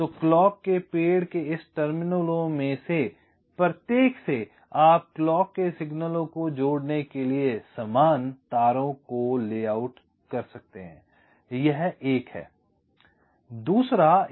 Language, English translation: Hindi, so from each of this terminals of the clock tree you can layout equal wires to connect the clock signals